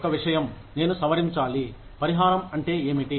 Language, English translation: Telugu, One thing, that I must revise is, one, what is compensation